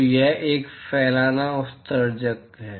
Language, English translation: Hindi, So, it is a diffuse emitter